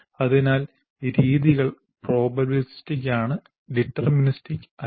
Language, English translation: Malayalam, So the methods are probabilistic and not deterministic